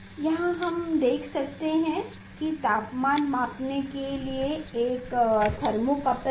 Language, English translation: Hindi, here we can see there is a one thermo couple is there to measure the temperature